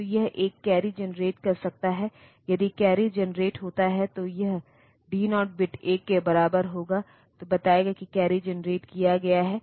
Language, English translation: Hindi, So, it can generate a carry if the carry is generated then this D 0 bit will be equal to 1 telling that a carry has been generated